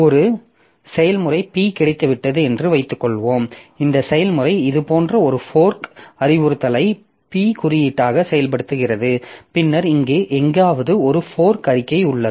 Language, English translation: Tamil, So suppose I have got a process P and this process executes a fork instruction like in this, if this is the code of P, then somewhere here there is a fork statement